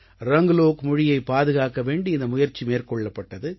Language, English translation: Tamil, There is an effort to conserve the Ranglo language in all this